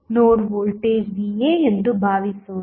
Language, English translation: Kannada, Suppose, the node voltage is Va